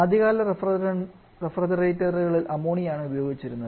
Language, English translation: Malayalam, So, refrigerant ammonia has these advantages